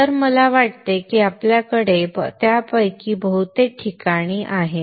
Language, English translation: Marathi, So I think we have most of them in place